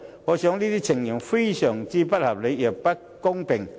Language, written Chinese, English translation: Cantonese, 我認為這些情況非常不合理，亦不公平。, I think such a situation is highly unreasonable and unfair